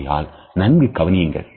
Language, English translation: Tamil, So, pay close attention